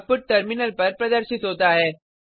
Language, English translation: Hindi, The output is as displayed on the terminal